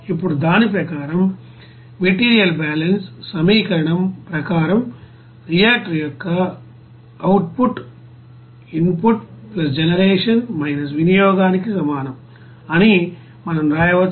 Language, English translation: Telugu, Now as per that, you know material balance equation, we can write output of reactor will be is equal to input + generation – consumption